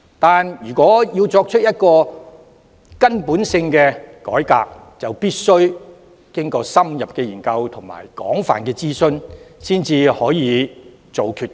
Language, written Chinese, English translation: Cantonese, 然而，要作出根本改革，便必須經過深入研究和廣泛諮詢，才可下決定。, However to carry out fundamental reforms in - depth studies and extensive consultations must be conducted before further decisions can be made